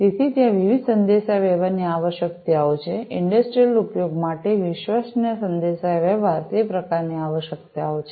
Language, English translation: Gujarati, So, there has been different communication you know requirements, reliable communication for industrial use etcetera you know, those sort of requirements have been there